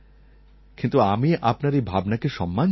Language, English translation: Bengali, I still respect your feelings